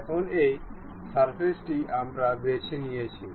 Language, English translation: Bengali, Now, this is the surface what we have picked